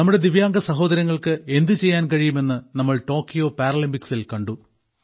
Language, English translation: Malayalam, At the Tokyo Paralympics we have seen what our Divyang brothers and sisters can achieve